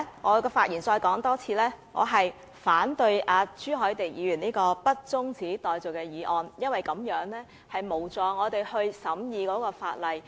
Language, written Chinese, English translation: Cantonese, 我要在發言中再次指出，我反對朱凱廸議員提出的不中止待續的議案，因為這無助我們審議法例。, I have to point out once again that I oppose Mr CHU Hoi - dicks motion that the debate be not adjourned because it is not contributory to our scrutiny of legislation